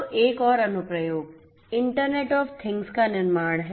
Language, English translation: Hindi, So, another application is the construction internet of things